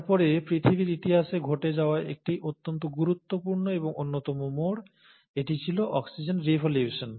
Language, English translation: Bengali, But then, there has been a very important and one of the most crucial turn of events in history of earth, and that has been the oxygen revolution